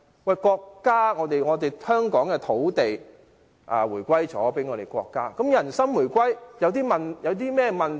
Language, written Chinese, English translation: Cantonese, 香港的土地回歸國家後，人心回歸又有甚麼問題？, After the return of Hong Kongs territory to China what is wrong with the reunification of peoples hearts?